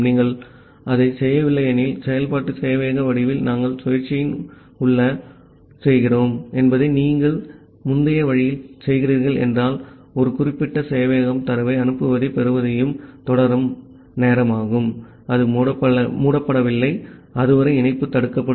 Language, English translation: Tamil, If you are not doing that, if you are doing it in the earlier way that we are doing inside the while loop in the form of iterative server, then the time until a particular server is keep on sending and receiving data, it is not closing the connection up to that point the connection will remain blocked